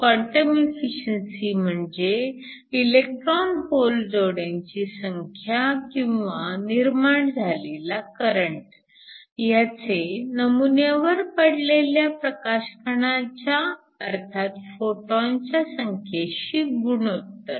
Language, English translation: Marathi, So, we define quantum efficiency as the number of electron hole pairs or the current that is generated to the ratio of the number of photons that are incident on your sample